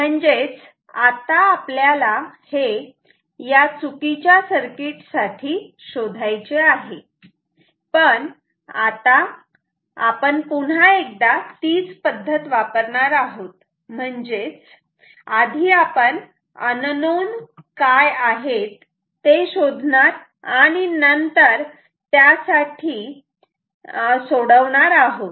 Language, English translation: Marathi, So, this is what we have to find out for this wrong circuit, but the process that we will follow is once again same, we will find out the first we have to find the unknowns, that you have to solve for